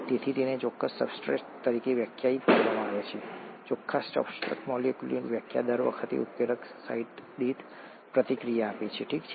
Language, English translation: Gujarati, So it is defined as the net substrate, the number of net substrate molecules reacted per catalyst site per time, okay